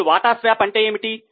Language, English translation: Telugu, Now, what is a share swap